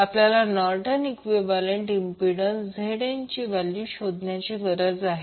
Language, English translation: Marathi, We need to find out value of Norton’s equivalent impedance that is Zn